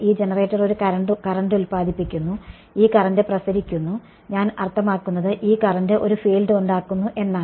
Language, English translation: Malayalam, This generator is producing a current and this current is radiating I mean this current in turn produces a field ok